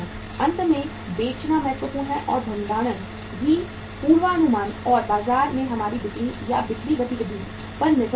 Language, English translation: Hindi, Selling finally is important and storing also depends upon the sales forecasting and our selling or sales activity in the market